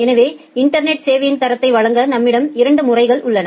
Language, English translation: Tamil, So, we have two modes of services to provide quality of service over the internet